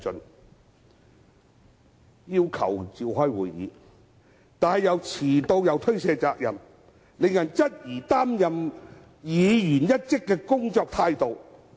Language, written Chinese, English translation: Cantonese, 有議員要求召開會議，自己卻遲到及推卸責任，令人質疑該等議員的工作態度。, Some Members requested to convene a meeting but they were late and shirked responsibilities . Their attitude towards work are thus questionable